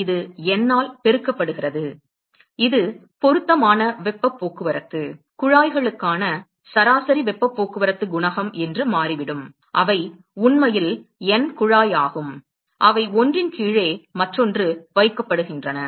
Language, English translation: Tamil, It is just multiplied by N; it turns out that is the appropriate heat transport, average heat transport coefficient for tubes which are actually N tube which is placed one below the other